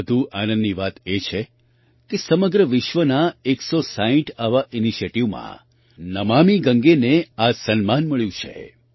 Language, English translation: Gujarati, It is even more heartening that 'Namami Gange' has received this honor among 160 such initiatives from all over the world